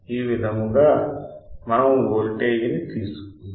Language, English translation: Telugu, TAhis is how we take the voltage